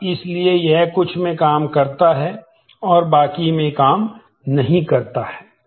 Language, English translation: Hindi, And so, it works in some and it does not work in the rest